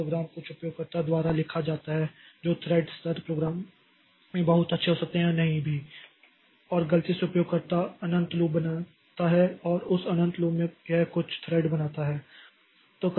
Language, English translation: Hindi, And since the program that we have, so program is written by some user who may or may not be very good in this thread level programming, may be by mistake the user creates an infinite loop and in that infinite loop it creates some threads